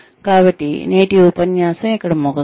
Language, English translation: Telugu, So, we will end today's lecture here